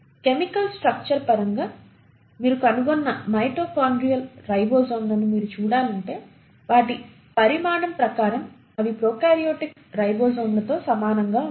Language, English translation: Telugu, Not just that if you are to look at the mitochondrial ribosomes you find in terms of the chemical structure, in terms of their size they are very similar to prokaryotic ribosomes